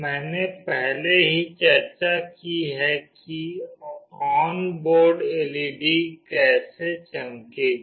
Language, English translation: Hindi, I have already discussed how the onboard LED will glow